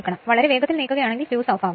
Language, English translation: Malayalam, Suppose, if you move it very fast; then, fuse will be off